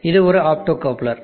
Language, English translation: Tamil, See here this is an optocoupler